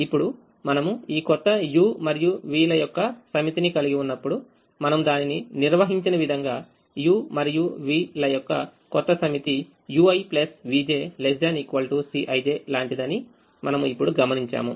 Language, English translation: Telugu, now, when we have this new set of u's and v's, the way we have defined it, we now observe that the new set of u's and v's are such that u i plus v j is less than or equal to c i j